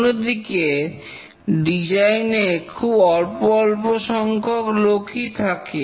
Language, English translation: Bengali, On the other hand, in design we can have only few designers designing it